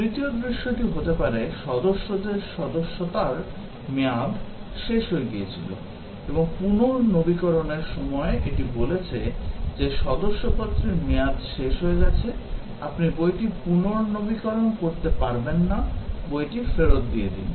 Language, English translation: Bengali, The third scenario, may be the membership of the member had expired and when renewing, it said that, the membership has expired; you cannot renew the book; please return the book